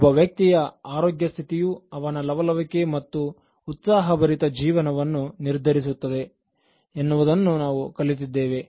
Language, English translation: Kannada, We learnt that the health condition of a person determines the liveliness and enthusiasm of a person